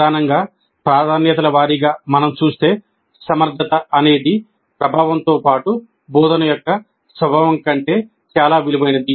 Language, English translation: Telugu, But primarily the priority way if we see efficiency is valued over effectiveness as well as engaging nature of the instruction